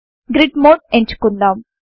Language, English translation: Telugu, Let me choose grid mode